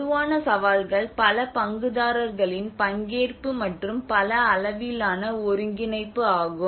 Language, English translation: Tamil, Whereas the common challenges which has a multi stakeholder participation and multi scale coordination